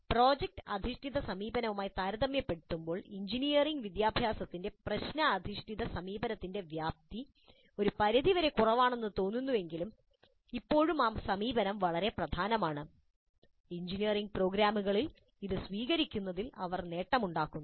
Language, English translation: Malayalam, Though the prevalence of problem based approach in engineering education seems to be somewhat less compared to product based approach, still that approach is also very important and it is gaining in its adoption in engineering programs